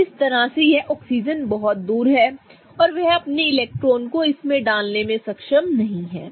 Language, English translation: Hindi, So, this is way too far for this oxygen to put its electrons